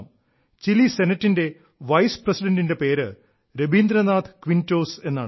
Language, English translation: Malayalam, The name of the Vice President of the Chilean Senate is Rabindranath Quinteros